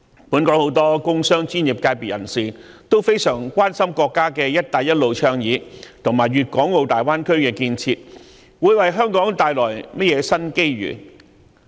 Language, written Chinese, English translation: Cantonese, 本港很多工商專業界別人士均非常關心國家的"一帶一路"倡議，以及粵港澳大灣區的建設會為香港帶來甚麼新機遇。, Many members of the industrial business and professional sectors have kept a close interest in the States Belt and Road Initiative and the new opportunities that the development of the Greater Bay Area will bring to Hong Kong